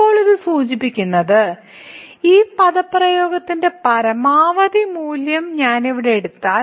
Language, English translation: Malayalam, Now, this implies, so, if I we take the maximum value of this expression here